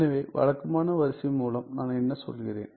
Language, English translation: Tamil, So, what do I mean by regular sequence